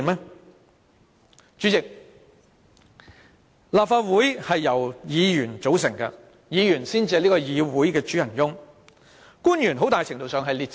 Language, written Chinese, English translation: Cantonese, 代理主席，立法會由議員組成，議員才是這個議會的主人翁，官員很大程度上只是列席會議。, Deputy Chairman the Legislative Council is formed by Members hence we are actually masters of this Council . Government officials to a large extent are sitting in attendance only